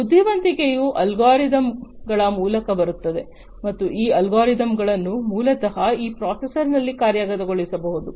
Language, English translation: Kannada, So, intelligence come through algorithms, right and these algorithms can basically be executed at this processor